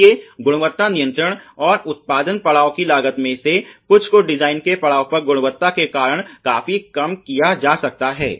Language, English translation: Hindi, So, some of the cost of quality control and production stage can considerable reduced because of the quality by design